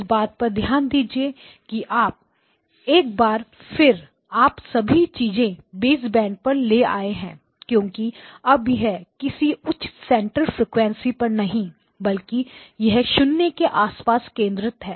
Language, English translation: Hindi, Notice that once again you have brought everything back to baseband because these are not at some higher center frequency they are all centered around 0